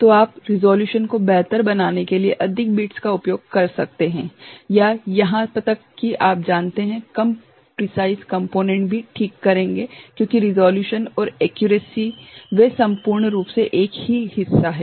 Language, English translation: Hindi, So, you can use more bits to improve the resolution right or even you know, less precise components will do ok, because the resolution and accuracy they are quite a part